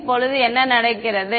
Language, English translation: Tamil, What happens now